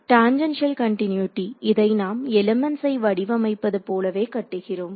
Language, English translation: Tamil, Tangential continuity; we have building it into the way we design the elements itself